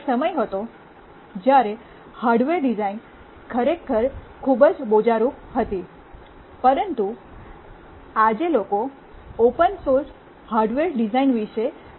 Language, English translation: Gujarati, There was a time when hardware design was really very cumbersome, but today people are talking about open source hardware design